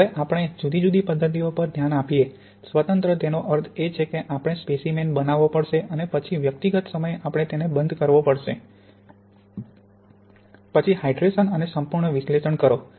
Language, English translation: Gujarati, Now when we look at discrete methods, discrete means that we have to make a sample and then at individual times we have to stop the hydration and do the complete analysis